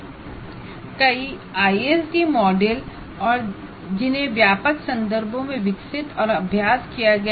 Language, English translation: Hindi, Here, there are several ISD models developed and practiced in a wide range of context